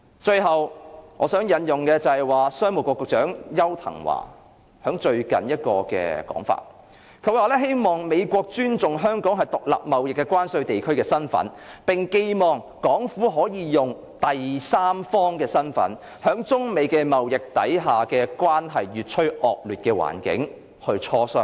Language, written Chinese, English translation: Cantonese, 最後，我想引用商務及經濟發展局局長邱騰華最近的說法。他說希望美國尊重香港是獨立貿易關稅地區的身份，並寄望港府能以第三方的身份，在中美貿易關係越趨惡劣的環境下參與磋商。, Lastly I would like to cite a statement made by the Secretary for Commerce and Economic Development Edward YAU recently who asked the United States to respect Hong Kongs status as a separate customs territory and hoped the Hong Kong Government can participate in the negotiation as a third party under the worsening trade relations between China and the United States